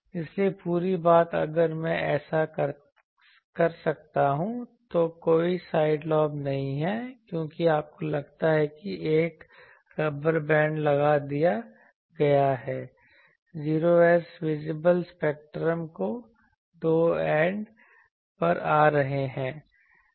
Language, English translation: Hindi, That is why the whole thing if I can do this, then there are no side lobes because you think a rubber band has been put the 0s are coming at that two ends of the visible spectrum